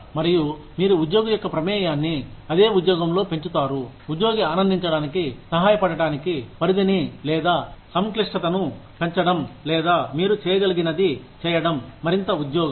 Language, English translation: Telugu, And, you increase the involvement of the employee, in the same job, by either increasing the scope, or complexity, or doing whatever you can, to help the employee enjoy the job more